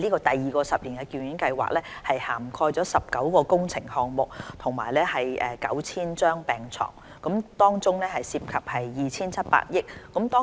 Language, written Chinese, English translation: Cantonese, 第二個十年醫院發展計劃將涵蓋19個工程項目、提供 9,000 張病床，涉及約 2,700 億元。, Under the second 10 - year hospital development plan which involves about 270 billion a total of 19 projects will be covered providing 9 000 additional beds